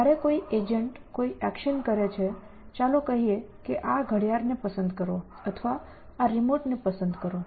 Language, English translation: Gujarati, That when an agent does an action, let us say pick up this watch essentially or know pickup this remote